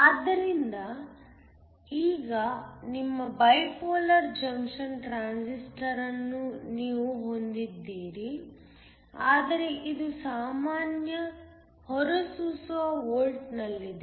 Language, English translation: Kannada, So, Now, you have your Bipolar Junction Transistor, but it is in common emitter volt